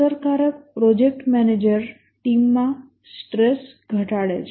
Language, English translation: Gujarati, An effective project manager reduces stress on the team